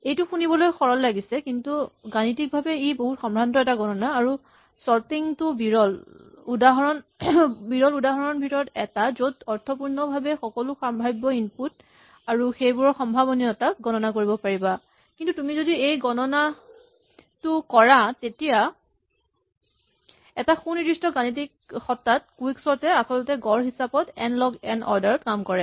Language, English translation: Assamese, Now, this sound simple but mathematically it is sophisticated and sorting is one of the rare examples where you can meaningfully enumerate all the possible inputs and probabilities of those inputs, but if you do this calculation it turns out that in a precise mathematical sense quicksort actually works in order n log n in the average